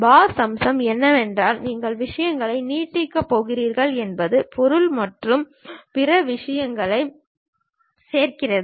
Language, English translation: Tamil, Boss feature is the one where you are going to extend the things add material and other things